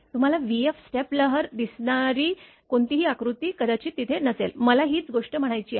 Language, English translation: Marathi, Whatever figures you see v f step wave it may not be there I mean same thing right